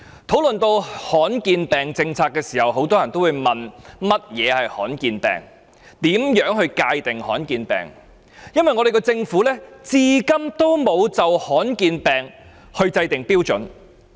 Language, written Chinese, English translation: Cantonese, 討論到罕見疾病政策，很多人會問何謂罕見疾病、如何界定罕見疾病，因為政府至今沒有就罕見疾病制訂標準。, When it comes to the policy on rare diseases many people asks what rare diseases are and how to define a rare disease . So far the Government has not laid down a standard for rare diseases